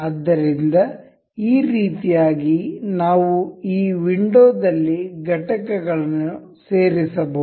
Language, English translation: Kannada, So, in this way we can insert components in this window